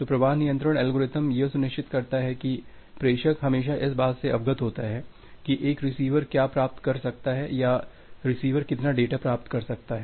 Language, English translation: Hindi, So, the flow control algorithm ensures that the sender is always aware about what a receiver can receive or how much data the receiver can receive